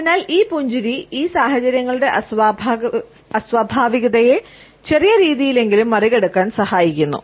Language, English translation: Malayalam, So, this embarrass the smile helps us to overcome the awkwardness of these situations in a little manner at least